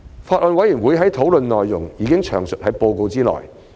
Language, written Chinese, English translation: Cantonese, 法案委員會的討論內容已詳述在報告內。, The detailed deliberation of the Bills Committee is set out in the report